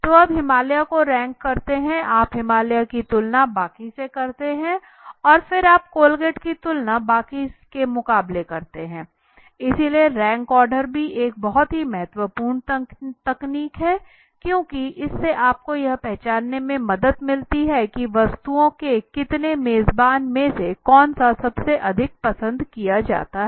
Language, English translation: Hindi, So you rank Himalaya you compare Himalaya against the rest and then you compare Colgate against the rest it goes on right so rank order is also a very important technique because it helps you to identify that among the so host of the objects which one is most likelihood or which is the most liked one right the priority wise